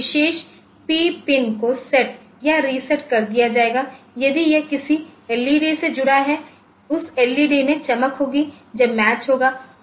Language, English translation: Hindi, So, that that p particular pin will get set or reset may be this is connected to some LED, that LED will glow that that match has occurred something like that